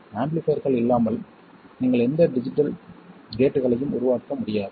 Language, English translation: Tamil, Without amplifiers you could not make any digital gate